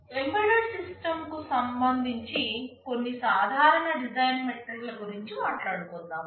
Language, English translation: Telugu, Let us talk about some of the common design metrics with respect to an embedded system design